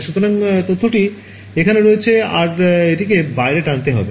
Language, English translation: Bengali, So, the information is there some of you have to pull it out